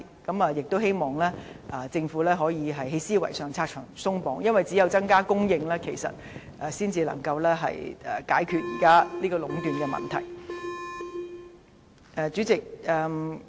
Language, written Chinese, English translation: Cantonese, 我們希望政府在思維上可以拆牆鬆綁，因為只有增加供應，才能解決現時領展壟斷的問題。, We hope that the Government will remove the hurdles in its mindset for the problem of monopolization by Link REIT can only be dealt with by increasing supply